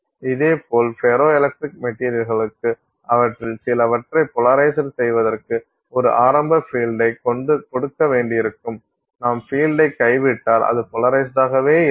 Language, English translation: Tamil, Similarly for ferroelectric materials you have, for some of them you may have to apply an initial field to get them to get polarized